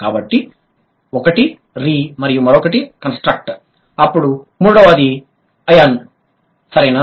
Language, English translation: Telugu, So, one is re, then the other one is construct, then the third one is Eon